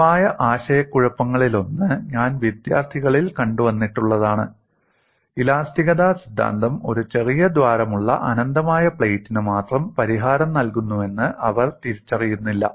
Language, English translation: Malayalam, Because one of the common confusions, I have come across in students is they do not recognize the theory of elasticity provides solution only for an infinite plate with a small hole, because you are accustomed to seeing a finite diagram like this in the books